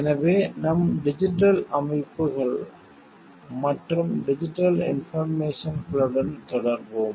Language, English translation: Tamil, And so, we will continue with digital systems and digital information